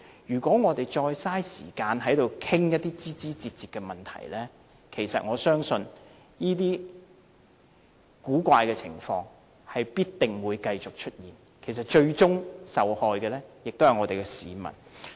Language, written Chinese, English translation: Cantonese, 如果我們再浪費時間在此討論枝枝節節的問題，其實我相信這些奇怪的情況必定會繼續出現，最終受害的也是我們的市民。, In fact I believe that if we waste more time here discussing these side issues such oddities will definitely keep emerging and the ultimate victims will be members of the public